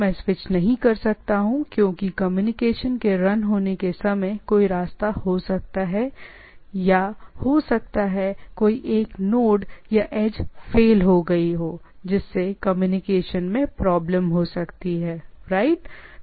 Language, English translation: Hindi, I cannot able to switch or there can be a path at times while the communication is on, there can be one of the node fails or edge fails and there can be communication problem right